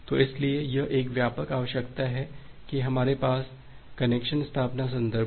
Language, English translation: Hindi, So, so that is the broad requirement that we have in the context of connection establishment